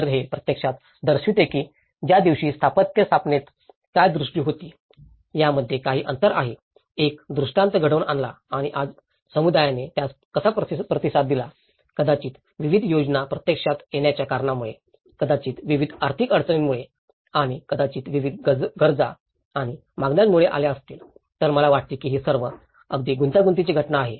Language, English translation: Marathi, So, this actually shows that there is also some gap between what the architecture on that day a vision; made a vision and today how communities have responded to it, maybe due to various schemes coming into the practice, maybe due to the various financial inflows and maybe various needs and demands coming into, so I think this is all a very complex phenomenon